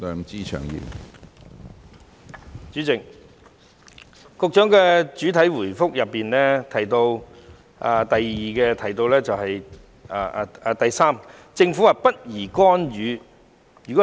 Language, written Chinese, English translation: Cantonese, 主席，局長在主體答覆第三部分提到政府不宜干預。, President in part 3 of the main reply the Secretary mentioned that it would not be appropriate for the Government to intervene